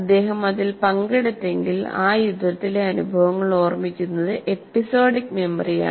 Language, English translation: Malayalam, But if he participated in that, recalling experiences in that war is episodic memory